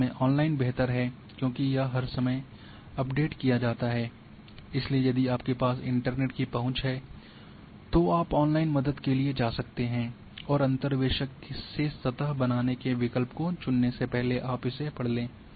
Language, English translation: Hindi, And online is better because it is updated all the time, so, if you are having access to net you can go for online help and read before you choose the option for interpolation creating a surface